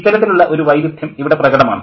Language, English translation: Malayalam, So that kind of contrast can be seen